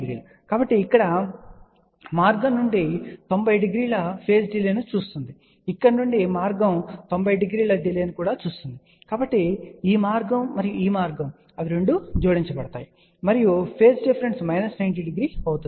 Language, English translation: Telugu, So, path from here sees a 90 degree delay, path from here also sees a 90 degree delay; so, this path and this path they will get added up and phase difference will be minus 90 degree